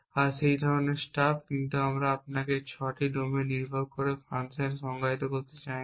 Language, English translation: Bengali, And that kind of staff, but we are we do not want to define you the 6 domain dependent fashion